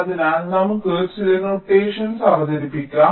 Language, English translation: Malayalam, ok, fine, so let us introduce some notations